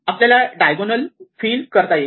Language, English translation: Marathi, So, I can fill it up diagonal by diagonal